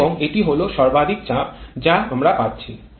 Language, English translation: Bengali, And this is the maximum pressure that we are getting